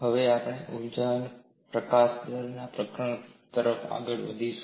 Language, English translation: Gujarati, We will now move on to the chapter on energy release rate